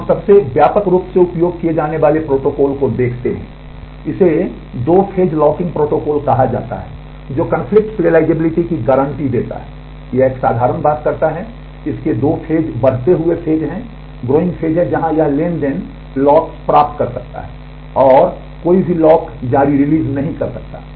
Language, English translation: Hindi, So, let us look at the most widely used protocol this is called the two phase locking protocol which guarantees conflict serializability, it does a simple thing it has two phases a growing phase, where it transaction may obtain locks and may not release any lock